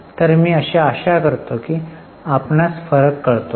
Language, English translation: Marathi, So, I hope you are getting the difference